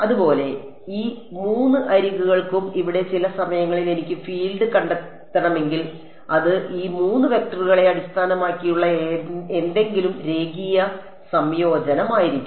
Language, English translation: Malayalam, And similarly for these 3 edges and at some point over here if I want to find out the field, it is going to be a linear combination of something based on these 3 vectors